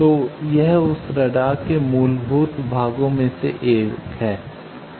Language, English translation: Hindi, So, it is one of the fundamental parts of that radar